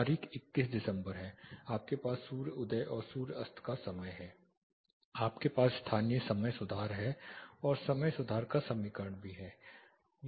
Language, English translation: Hindi, Date is 21st December, you have the sun rise and sun set time, you have the local time correction, and equation of time correction is also there